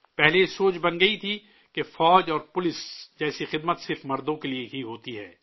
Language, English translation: Urdu, Earlier it was believed that services like army and police are meant only for men